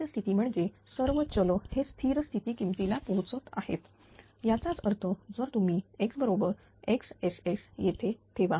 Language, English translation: Marathi, Steady state; that means, all the variables are reaching to the steady state value; that means, you put X is equal to X S dot here, right